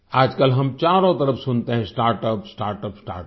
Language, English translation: Hindi, These days, all we hear about from every corner is about Startup, Startup, Startup